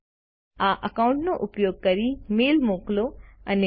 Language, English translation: Gujarati, Send and receive mails using this account